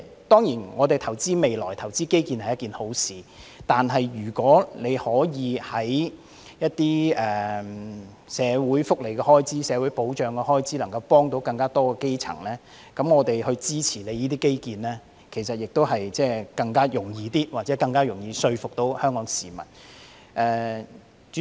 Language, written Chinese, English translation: Cantonese, 當然，投資未來和基建是一件好事，但如果政府給社會福利開支或社會保障開支撥款，以幫助更多基層市民，我們會更容易支持政府進行這些基建工程，或者更容易說服香港市民。, It is certainly a good thing to make investment for the future and infrastructure projects . However if the Government injects funding into the social welfare or social security budget to help more grass - roots people it will be easier for us to support or convince the public to support these infrastructure projects